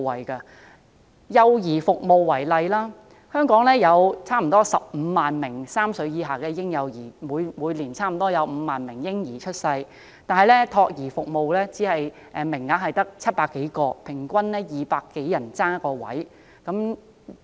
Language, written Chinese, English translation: Cantonese, 以幼兒照顧服務為例，香港有差不多15萬名3歲以下的嬰幼兒，每年差不多有5萬名嬰兒出世，但資助託兒服務名額卻只有700多個，平均200多人爭奪1個名額。, Take childcare service as an example . There are some 150 000 young children under the age of three in Hong Kong and about 50 000 babies are born each year but there are about 700 subsidized childcare places only which means over 200 young children are scrambling for one place